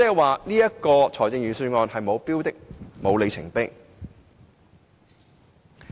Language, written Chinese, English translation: Cantonese, 換言之，預算案是沒有標的或里程碑的。, In other words the Budget fails to put forth any target or milepost